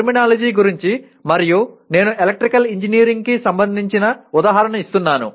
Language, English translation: Telugu, Terminology will mean again I am giving a bit more of electrical engineering example